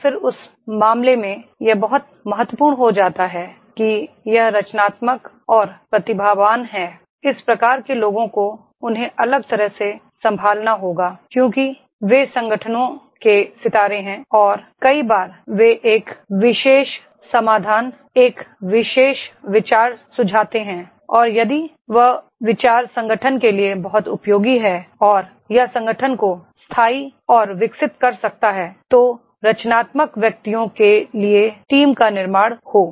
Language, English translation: Hindi, And then in that case it becomes very important that is this creative and genius, this type of the people they have to be handled differently because they are stars of the organizations and many times they suggest a particular solution, a particular idea and if that idea is very useful to the organization and that can make the sustainable and the growth of the organization, so that is build the team to have a creative ingenious people